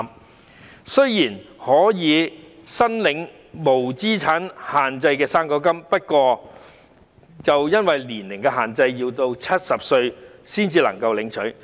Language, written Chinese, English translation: Cantonese, 他們雖然可以申領無資產限制的"生果金"，但因為年齡限制，要到70歲才能領取。, Although they may apply for the non - means - tested fruit grant they can only receive the grant when they reach 70 years old owing to the age restriction